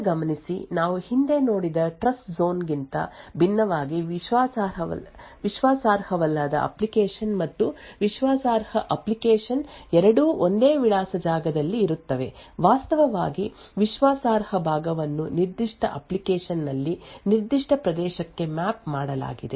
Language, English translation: Kannada, Now note that unlike the Trustzone we have seen earlier both the untrusted application and the trusted application are present in the same address space, in fact the trusted part is just mapped to a certain region within that particular application